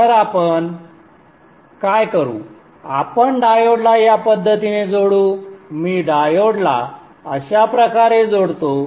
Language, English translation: Marathi, So what we will, we will connect the diode in this fashion